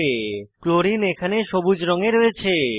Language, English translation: Bengali, Chlorine is seen in green color here